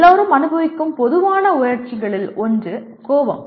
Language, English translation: Tamil, One of the most common emotion that everyone experiences is anger